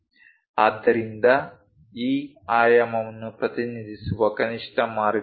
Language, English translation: Kannada, So, this is the minimalistic way of representing this dimension